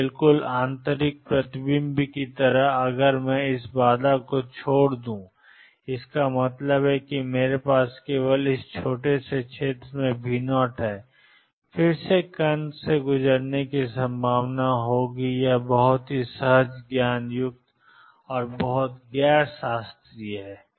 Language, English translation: Hindi, So, just like in total internal reflection if I make this barrier small; that means, I have V 0 only in this small region again there will be a probability of particle going through this is very countering intuitive very non classical